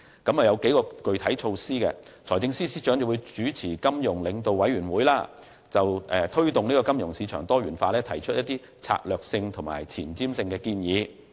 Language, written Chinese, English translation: Cantonese, 政府的具體措施計有：第一，由財政司司長主持金融領導委員會，就如何推動金融市場的多元化發展提出策略性和前瞻性的建議。, The Governments specific measures include First the Financial Leaders Forum chaired by the Financial Secretary will put forward strategic and forward - looking proposals to promote diversified development of the financial markets